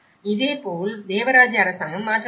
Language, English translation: Tamil, And similarly, the theocratic government has been changed